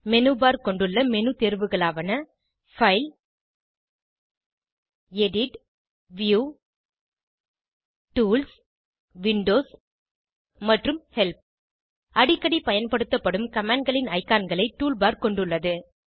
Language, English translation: Tamil, Menu bar contain menu items like File, Edit, View, Tools, Windows and Help options Toolbar contains most frequently used commands as icons